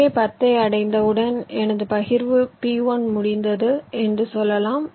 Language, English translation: Tamil, so once this ten is reached, i can say that my partition p one is done